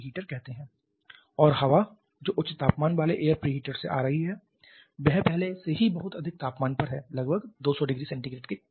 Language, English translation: Hindi, And the air that is coming out of the high temperature air pre heater is already at a very high temperature in the order of 200 degree Celsius